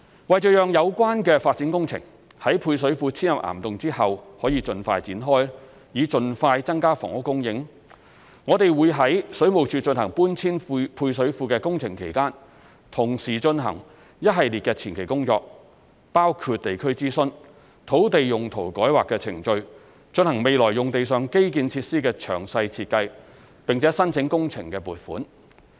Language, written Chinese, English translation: Cantonese, 為讓有關發展工程在配水庫遷入岩洞後可以盡快展開，以盡快增加房屋供應，我們會於水務署進行搬遷配水庫的工程期間，同時進行一系列的前期工作，包括地區諮詢、土地用途改劃程序、進行未來用地上基建設施的詳細設計，並申請工程撥款。, In order to increase the housing supply as soon as possible we target to commence the development works at the existing site immediately upon the completion of relocating the existing service reservoirs to the caverns . During the period when WSD is carrying out the relocation works we would concurrently undertake a series of preliminary works including local consultation land use rezoning procedures detailed design for the infrastructures on the future site and apply for project funding